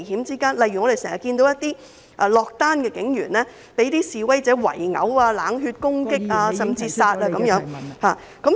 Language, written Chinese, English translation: Cantonese, 例如我們經常看到一些落單警員被示威者圍毆、冷血攻擊，甚至殺害等......, For example we often see some lone police officers being gang - beaten cold - bloodedly attacked or even killed by demonstrators